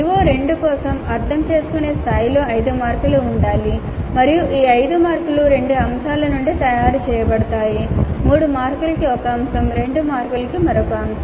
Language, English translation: Telugu, So for CO2 for example at understand level it is to have 5 marks and these 5 marks are made from 2 items, one item for 3 marks, another item for 2 marks